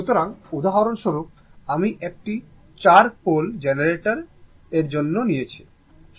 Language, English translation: Bengali, So, for example, one small example I have taken for a 4 pole generator right